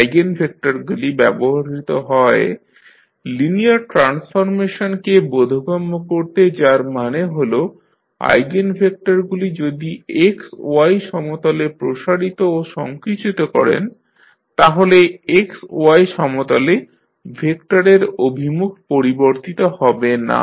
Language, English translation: Bengali, Eigenvectors are used to make the linear transformation understandable that means the eigenvectors if you stretch and compress the vector on XY plane than the direction of the vector in XY plane is not going to change